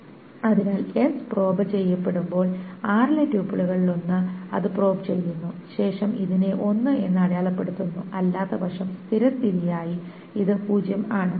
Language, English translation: Malayalam, So if S is probed, one of the tuples in R probes it, then this is marked as one, and by default it is otherwise zero